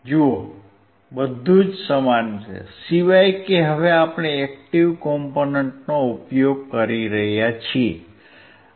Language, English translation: Gujarati, See everything is same, except that now we are using the active component